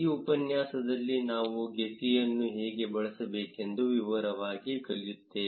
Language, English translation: Kannada, In this tutorial, we will learn in detail how to use gephi